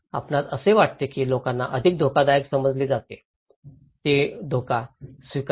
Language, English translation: Marathi, Which one you think people considered more risky, accept as risk